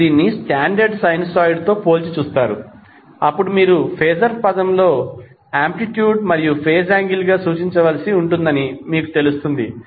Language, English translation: Telugu, Then you will come to know that in phaser term you have to just represent as the amplitude and the phase angle